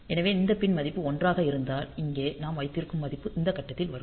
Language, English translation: Tamil, So, if this pin value to 1; so, value that we have here will be coming at this point